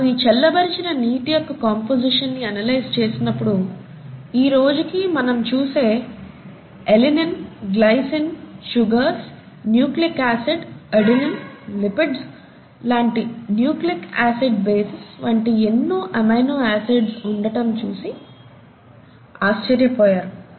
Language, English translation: Telugu, And when they analyze the composition of this cooled water, they found to their amazement that it consisted of a lot of amino acids that we even see today, such as alinine and glycine, sugars, nucleic acid, and nucleic acid bases like adenine and lipids